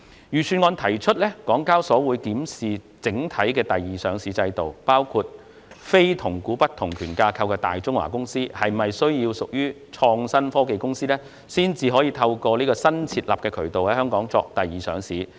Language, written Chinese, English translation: Cantonese, 預算案提出港交所會檢視整體第二上市制度，包括非同股不同權架構的大中華公司是否需要屬創新科技公司，才能透過新設立的渠道在香港作第二上市。, The Budget proposes that HKEX review the overall secondary listing regime including whether Greater China companies with non - weighted voting rights structures have to be companies in the information and technology field in order to seek secondary listing in Hong Kong through the new concessionary route